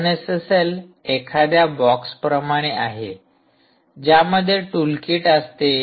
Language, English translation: Marathi, openssl is nothing like a box which has a tool kit